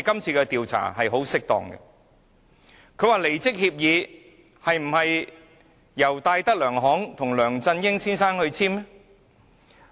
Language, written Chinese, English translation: Cantonese, 張達明問：離職協議是否由戴德梁行與梁振英先生簽訂？, Eric CHEUNG asked was the resignation agreement signed between DTZ and Mr LEUNG Chun - ying?